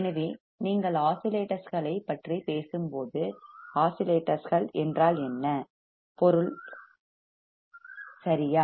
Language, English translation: Tamil, So, when you talk about oscillations, what oscillations means right